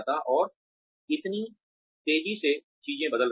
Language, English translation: Hindi, And, things are changing, so fast